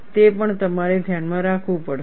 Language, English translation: Gujarati, That also, you have to keep in mind